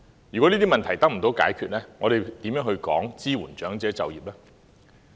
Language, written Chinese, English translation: Cantonese, 如果這些問題得不到解決，又談甚麼支援長者就業？, If these problems cannot be solved how can we talk about supporting elderly people in taking up employment?